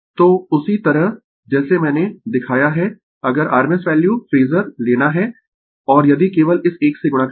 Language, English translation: Hindi, So, same as same way I have showed you if you to take rms value phasor and if you just multiply this one